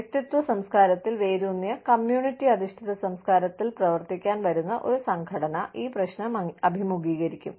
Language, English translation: Malayalam, An organization, rooted in individualistic culture, coming to operate in a community oriented culture, will face this problem